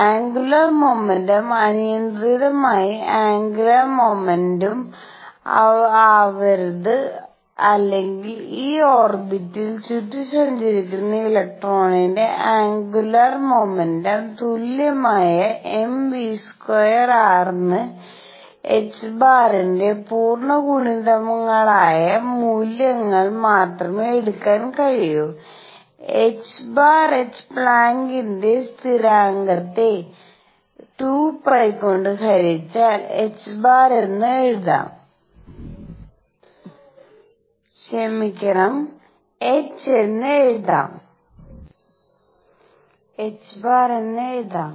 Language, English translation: Malayalam, The angular momentum cannot be arbitrary angular momentum or m v r which is equal to the angular momentum of electron going around this orbit can take only those values which are integer multiples of h cross, let me write h cross equals h Planck’s constant divided by 2 pi